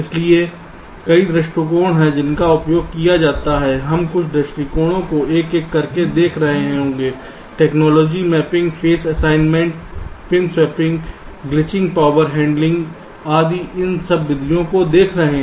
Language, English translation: Hindi, we shall be looking at some of this approaches one by one: technology mapping, phase assignment, pin swapping, glitching, power handling, etcetera